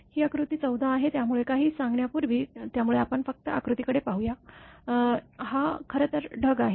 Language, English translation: Marathi, This is figure 14; so, before telling anything; so, just we will look at the figure; this is actually cloud